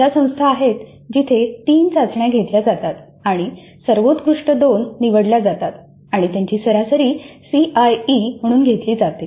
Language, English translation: Marathi, There are institutes where three tests are conducted and the best two are selected and their average is taken as the CIE